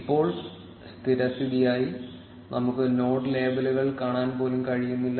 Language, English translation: Malayalam, Right now by default, we are not even able to see the node labels